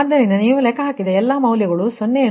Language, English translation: Kannada, so there, because all calculated values, you have got zero